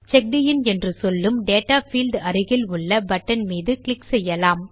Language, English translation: Tamil, Let us click on the button next to the Data field that says CheckedIn